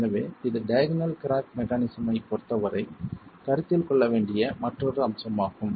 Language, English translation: Tamil, So, this is a further aspect that needs to be considered as far as the diagonal cracking mechanism is concerned